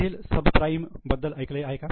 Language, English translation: Marathi, Have you heard of subprime problem in US